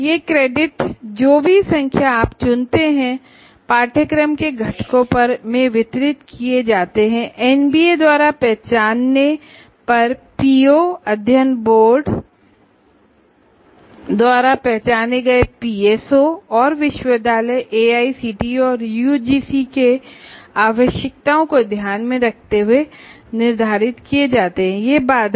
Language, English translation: Hindi, And these credits, whatever number that you choose, are distributed over the curricular components, keeping the POs identified by NBA, PSOs identified by the Board of Studies, and the requirements of the university, AICT and UGC